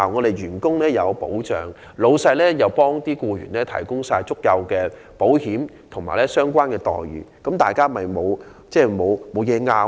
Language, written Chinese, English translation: Cantonese, 僱員既得到保障，老闆也為僱員提供足夠的保險和相關待遇，這樣雙方便沒有甚麼可爭拗。, If employees are protected with employers providing them with sufficient insurance coverage and remuneration there is not much for both parties to argue about